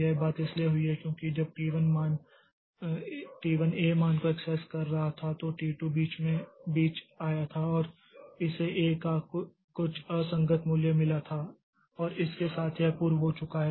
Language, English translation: Hindi, This thing has happened because when T1 was accessing the value of A in between T2 came and it got some inconsistent value of A and with that it proceeded